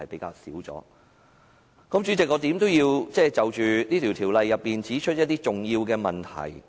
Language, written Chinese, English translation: Cantonese, 代理主席，無論如何我也要就修訂規則提出一些重要的問題。, Deputy President I have to raise some important questions about the Amendment Rules in any case